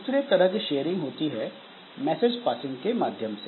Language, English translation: Hindi, Another type of sharing that we can have is by means of message passing